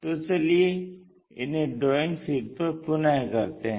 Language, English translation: Hindi, So, let us do that on our drawing sheet